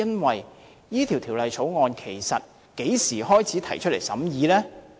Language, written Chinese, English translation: Cantonese, 這項《條例草案》其實在何時提交審議呢？, In fact when was the Bill submitted for consideration?